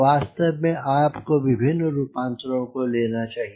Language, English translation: Hindi, in fact you should have various combinations